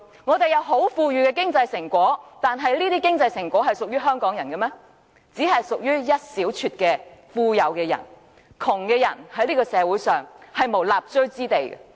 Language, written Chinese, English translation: Cantonese, 香港有很豐裕的經濟成果，但這些經濟成果並非所有香港人均能享受，能享受的只有一小撮富有人士，窮人在這個社會上沒有立錐之地。, Hong Kong has achieved great economic success but not everyone in Hong Kong can enjoy the fruits of success . Only a handful of rich people can be benefited while the poor do not even have a tiny place to live in